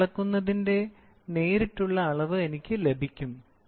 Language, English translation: Malayalam, What I measure, I get is direct measurement